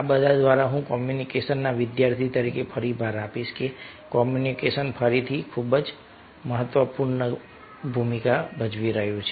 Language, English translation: Gujarati, but one thing is very, very important all through that, being a student of communication, i will re emphasize that communication is playing again, very, very important role